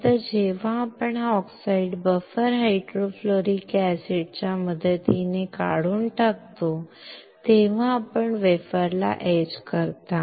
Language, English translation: Marathi, Then when the backside we remove this oxide with help of buffer hydrofluoric acid we etch the wafer, right